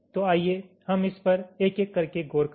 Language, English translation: Hindi, so lets look into this one by one